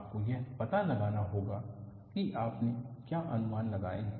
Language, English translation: Hindi, You have to find out, what approximations we have done